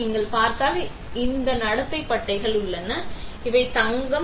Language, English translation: Tamil, See if you see, this conduct pads are there, these are gold